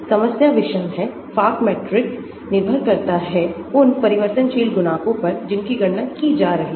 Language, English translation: Hindi, the problem is nonlinear, the Fock matrix is dependent on the variational coefficients that are being calculated